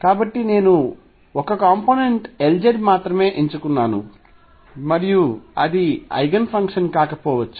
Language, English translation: Telugu, So, I choose only 1 component L z and then I cannot that cannot be the Eigen function